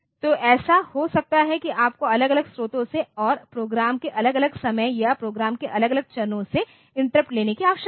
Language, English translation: Hindi, So, it may so happen that you need to take interrupt from different sources and at different times of program or different phases of program